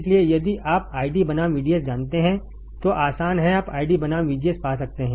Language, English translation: Hindi, So, easy if you know ID versus VDS you can find ID versus VGS